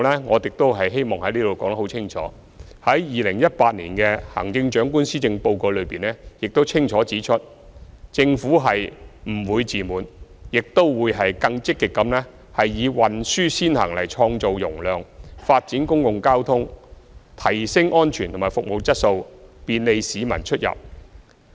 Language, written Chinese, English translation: Cantonese, 我希望在此言明，在行政長官2018年施政報告中清楚指出，政府是不會自滿，亦會更積極以"運輸先行"來創造容量，發展公共交通，提升安全和服務質素，便利市民出入。, Here I wish to make a clear statement . As clearly stated in the 2018 Policy Address of the Chief Executive the Government will not be complacent and will proactively create capacity through a transport first strategy developing the public transport and enhancing its safety and service quality so that the public can travel conveniently